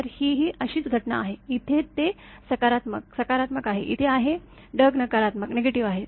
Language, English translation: Marathi, So, this is similar phenomena; here it is positive, positive, here it is; the cloud is negative